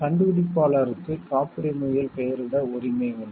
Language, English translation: Tamil, The inventor has the right to be named as such in the patent